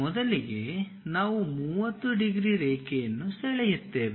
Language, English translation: Kannada, First we draw 30 degrees line